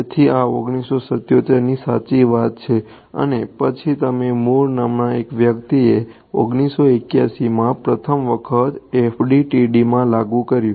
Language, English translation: Gujarati, So, this is way back 1977 right and then you had a person by the name of Mur applied it to FDTD for the first time in 1981 ok